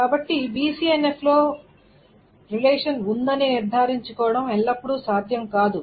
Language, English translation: Telugu, So it is not always possible to ensure that a relationship is in BCNF